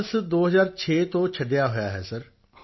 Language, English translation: Punjabi, I have left Banaras since 2006 sir